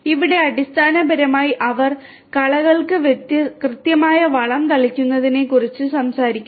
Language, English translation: Malayalam, And here basically they are talking about precise fertilizer spray to the weeds